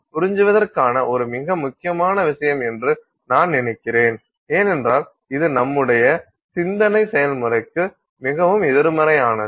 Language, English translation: Tamil, So, that is I think a very important point to absorb because it is very counterintuitive to our thinking process